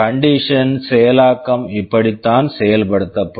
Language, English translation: Tamil, This is how the conditional executions execute